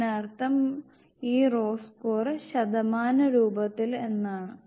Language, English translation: Malayalam, It means this raw a score it is in the percentage format